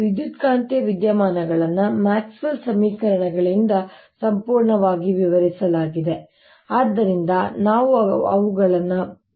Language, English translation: Kannada, electromagnetic phenomena is described completely by maxwell's equations